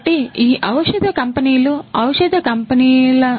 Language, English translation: Telugu, So, these pharmaceutical companies, these pharmaceutical companies